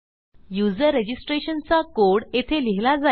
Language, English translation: Marathi, Our code to register the user will go here